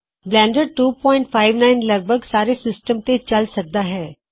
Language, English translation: Punjabi, Blender 2.59 works on nearly all operating systems